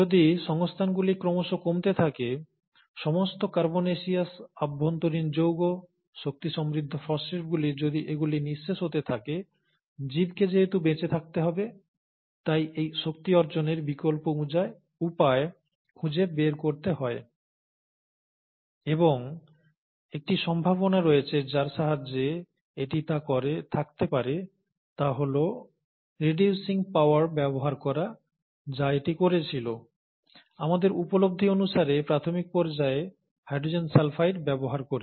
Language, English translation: Bengali, So if the resources are getting lower and lower, all that pool of carbonaceous inner compounds, energy rich phosphates, if they are getting exhausted, the organism, since it needs to survive, has to find alternate means of obtaining this energy, and one possible way by which it would have done that would have been to use the reducing power which it did, as per our understanding in the initial phases using hydrogen sulphide